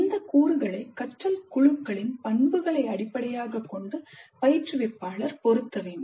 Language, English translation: Tamil, Instructor needs to pick and match these components based on the characteristics of the learning groups